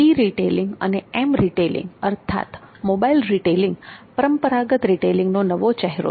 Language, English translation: Gujarati, E retailing and M retailing that is mobile retailing are the new phase of traditional retailing